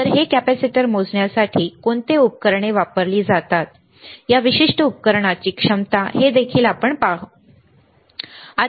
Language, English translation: Marathi, So, we will also see how what is the equipment used to measure this capacitor, there is the capacitance of this particular device